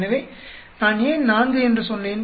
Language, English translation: Tamil, So, why did I say 4